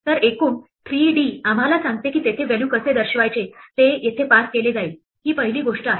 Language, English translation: Marathi, So the 3d as a whole tells us how to display the value there is going to be passed here, that is the first thing